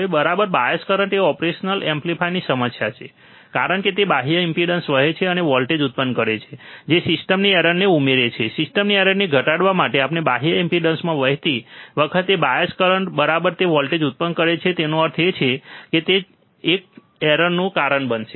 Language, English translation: Gujarati, Now, bias current is a problem of the operation amplifier because it flows in external impedances and produces voltage which adds to system error, to reduce the system error or the bias current when it flows in the external impedances, right it produces voltage; that means, it will cause a error